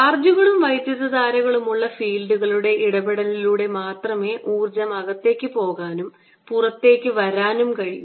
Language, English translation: Malayalam, the only way the energy can go in and come out is through interaction of fields with charges and currents